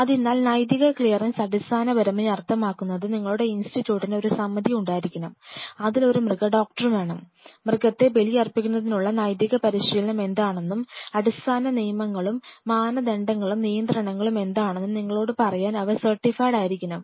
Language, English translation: Malayalam, So, ethical clearance essentially means your institute should have a body which essentially have to have a veterinarian, who is certified to tell you that what are the ethical practice of sacrificing animal, what are the basic rules and norms and regulation